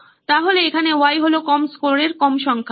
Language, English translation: Bengali, So, here the Y is low number of low scores